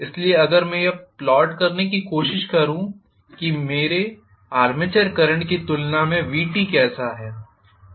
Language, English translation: Hindi, So, if I try to plot how Vt is as compared to what my armature current is